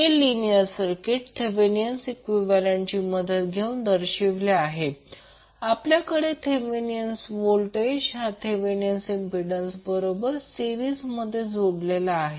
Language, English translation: Marathi, This linear circuit will be represented with the help of Thevenin equivalent, we will have Thevenin voltage in series with Thevenin impedance